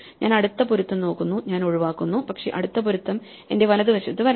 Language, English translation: Malayalam, So, I look for the next match, I skip, but the next match must come to my right